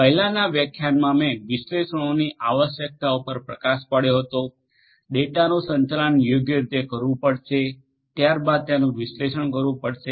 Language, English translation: Gujarati, In the previous lectures I already highlighted the need for analytics, the data will have to be managed properly will have to be analysed thereafter